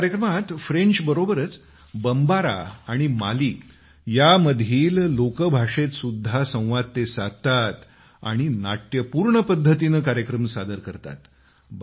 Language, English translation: Marathi, During the course of this program, he renders his commentary in French as well as in Mali's lingua franca known as Bombara, and does it in quite a dramatic fashion